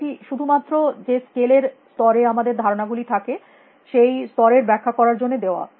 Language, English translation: Bengali, It is just to illustrate the levels of scale at which our concepts exist